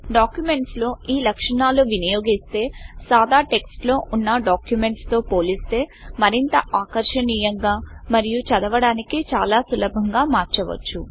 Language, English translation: Telugu, Applying these features in the documents make them more attractive and much easier to read as compared to the documents which are in plain text